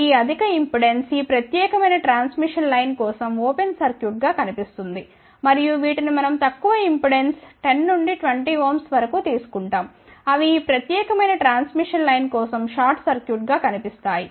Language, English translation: Telugu, The reason as I mentioned that this high impedance will appear as open circuit for this particular transmission line and these we take low impedance of the order of 10 to 20 ohm, they will appear as a short circuit for this particular transmission line